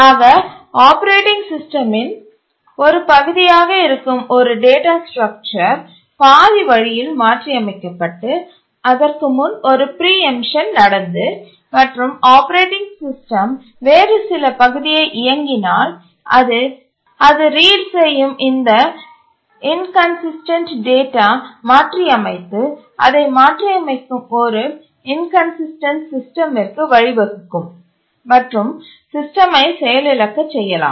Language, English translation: Tamil, So if a data structure is part of the operating system that is modified halfway and then there is a preemption and some other part the operating system runs and then modifies this data inconsistent data it reads and modifies then it will lead to an inconsistent system and can cross the system